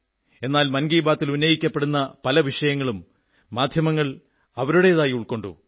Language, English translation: Malayalam, But many issues raised in Mann Ki Baat have been adopted by the media